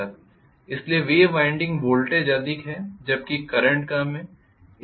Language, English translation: Hindi, So wave winding voltage is higher whereas current is lower